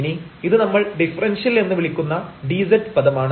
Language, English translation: Malayalam, And now this is the dz term which we call differential